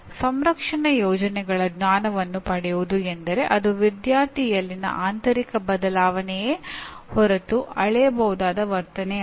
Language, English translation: Kannada, Will get knowledge of protection schemes means it is internal change in a student and not a behavior that can be measured